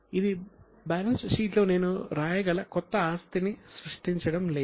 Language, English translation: Telugu, It is not creating any new asset that I can write it in the balance sheet